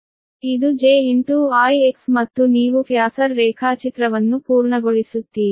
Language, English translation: Kannada, this is j into i x and you complete the phasor diagram